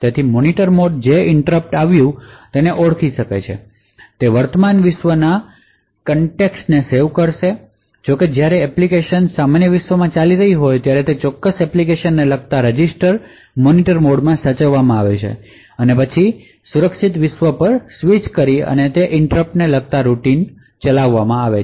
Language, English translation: Gujarati, So, the Monitor mode will identify the interrupt that has occurred it would save the context of the current world that is if when application is running in the normal world the registers corresponding to that particular application is saved in the Monitor mode and then there is a context switch to the secure world and the interrupt routine corresponding to that particular interrupt is then executed